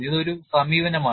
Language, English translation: Malayalam, This is one approach